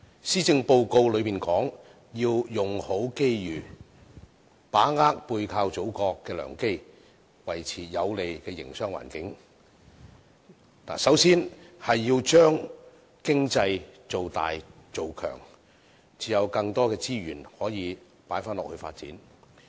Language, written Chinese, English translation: Cantonese, 施政報告說"用好機遇"，把握背靠祖國的良機，維持有利的營商環境，首先要把經濟造大造強，才能投放更多資源來發展。, The Policy Address says Make Best Use of Opportunities . Leveraging on the Mainland we should seize the good opportunities and maintain a favourable business environment . We should first of all expand and strengthen our economy so that we can inject more resources for its development